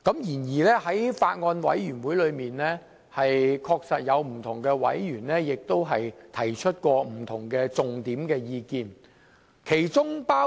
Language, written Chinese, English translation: Cantonese, 然而，在小組委員會中，確實有委員提出了不同的重點意見。, Yet it is true that some Members have raised different and major views in the Subcommittee